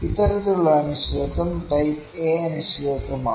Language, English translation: Malayalam, This kind of uncertainty is type A uncertainty